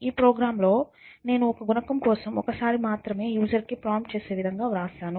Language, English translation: Telugu, So, in this program I have written in such a way that will prompt the user for one coefficient at a time